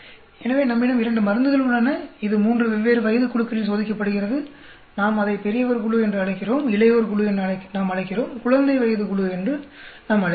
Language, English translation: Tamil, So, we have two drugs; it is being tested on three different age groups we call it the old age group, we call the adult age group, we call the infant age group